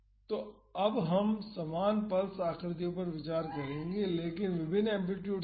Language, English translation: Hindi, So, now we will consider the same pulse shapes, but with different amplitudes